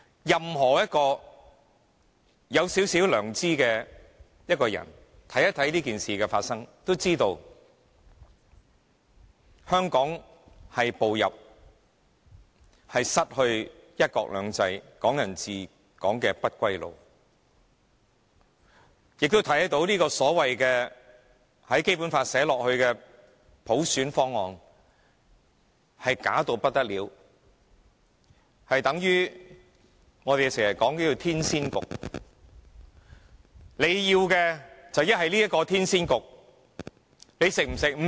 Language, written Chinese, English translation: Cantonese, 任何一個有少許良知的人，看一看這件事的發生，都知道香港已步上失去"一國兩制"、"港人治港"的不歸路，亦都看到這個所謂寫入《基本法》的普選方案，是虛假到不得了，相等於我們經常說的天仙局，你要麼接受這個天仙局，你吃不吃？, Anyone who has a little conscience would know that Hong Kong has embarked on a road of no return of losing one country two systems and Hong Kong people ruling Hong Kong and would see that this so - called proposal for universal suffrage written into the Basic Law is downright bogus just like what we would call a scam